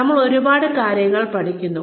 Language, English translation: Malayalam, We learn a lot of things along the way